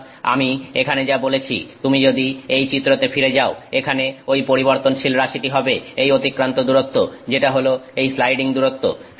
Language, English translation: Bengali, So, as I said here if you go back to this plot here, that variable is this distance travel, that is the sliding distance